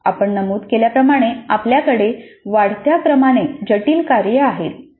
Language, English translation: Marathi, As we mentioned we have a progression of increasingly complex tasks